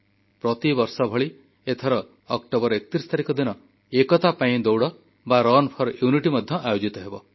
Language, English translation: Odia, On 31st October, this year too 'Run for Unity' is being organized in consonance with previous years